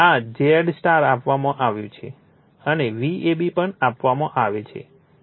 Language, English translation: Gujarati, This is your Z y is given, and V ab is also given